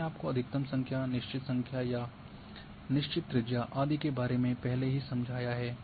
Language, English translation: Hindi, So,this I have already explained to you about maximum number or a number of fixing or either fixed radius and so on